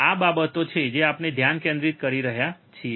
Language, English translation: Gujarati, These are the things that we are focusing today